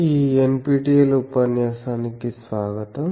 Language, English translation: Telugu, Welcome to this lecture NPTEL lecture